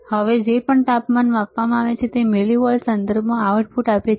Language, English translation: Gujarati, Now, whatever temperature is measures it gives the output in terms of millivolts